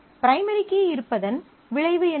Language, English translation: Tamil, What is the consequence of being a primary key